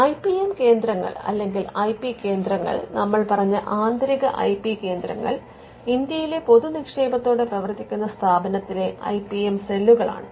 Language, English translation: Malayalam, Now, the type of IPM centres or IP centres the internal one as we mentioned are the typical IPM cells that you will find in many public refunded universities in India